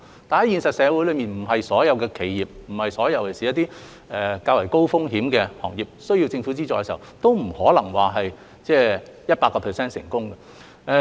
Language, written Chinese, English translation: Cantonese, 但是，現實社會所有企業，尤其是較高風險行業的企業，需要政府資助的時候，都不可能百分百成功。, However in reality all enterprises especially those in higher - risk industries cannot be 100 % successful when they need government funding